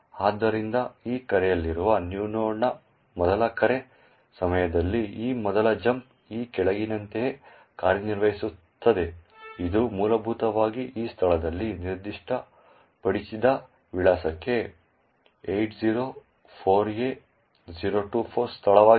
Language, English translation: Kannada, So, during the first call of new node which is at this call, so this first jump works as follows, it essentially jumps to the address which is specified in this location over here that is the location 804A024